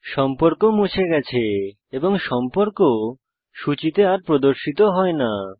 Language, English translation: Bengali, The contact is deleted and is no longer displayed on the contact list